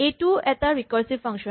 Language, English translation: Assamese, This is a recursive function